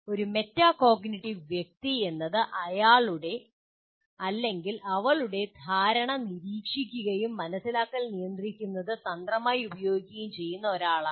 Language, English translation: Malayalam, Metacognitive person is someone who monitors his or her understanding and uses strategies to regulate understanding